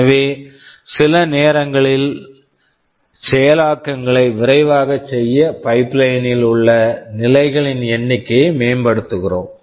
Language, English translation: Tamil, So, we are enhancing the number of stages in the pipeline to make the execution faster in some sense